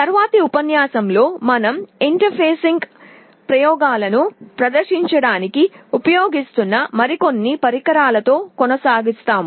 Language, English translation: Telugu, In the next lecture we shall be continuing with some more of these devices that we will be using to show you or demonstrate the interfacing experiments